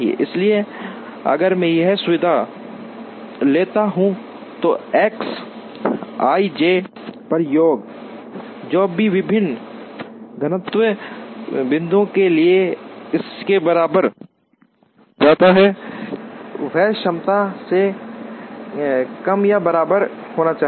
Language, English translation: Hindi, So, if I take this facility then X i j summation over j, whatever goes out of this to the various destination points should be less than or equal to it is capacity